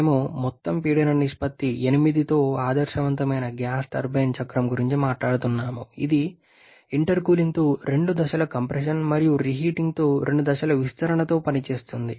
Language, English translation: Telugu, We are talking about an ideal gas turbine cycle with overall pressure ratio of 8 it is operating with two stages of compression with intercooling and two stages of expansion with reheating